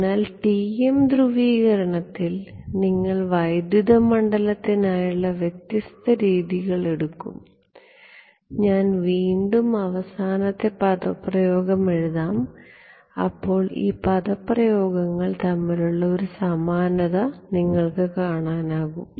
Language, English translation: Malayalam, So, TM polarization, you would take the different conventions for electric field and I will again I will just write down the final expression ok, you will notice a symmetry between these expressions